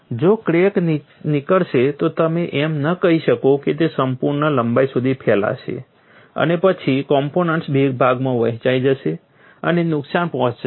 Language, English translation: Gujarati, If the crack originates, you do not say that it will propagate for its full length and then the component will separate into two and causing damage